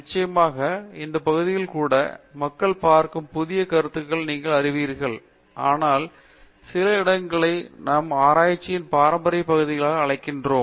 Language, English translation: Tamil, Of course, even in these areas there are you know newer concepts that people look at, but there are some areas that we would call as traditional areas of research